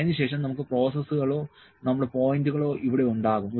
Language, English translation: Malayalam, Then we will have about process or our points here